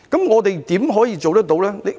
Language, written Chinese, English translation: Cantonese, 我們如何做得到呢？, How can we achieve success?